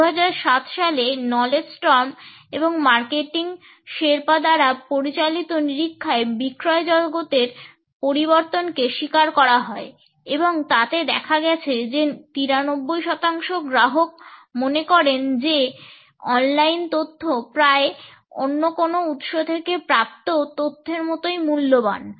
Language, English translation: Bengali, A 2007 survey, which was conducted by Knowledge Storm and Marketing Sherpa, acknowledged the changing sales world and it found that 93 percent of the customers felt that online information was almost as valuable as information which they receive from any other source